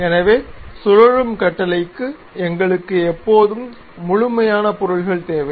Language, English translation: Tamil, So, for revolve command we always require closed objects